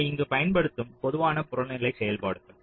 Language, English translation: Tamil, so these are the typical objective functions which are used here